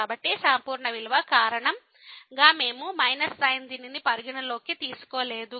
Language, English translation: Telugu, So, because of the absolute value we have not taken this minus into consideration